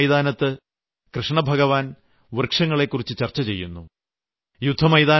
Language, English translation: Malayalam, In the battlefield of Kurukshetra too, Bhagwan Shri Krishna talks of trees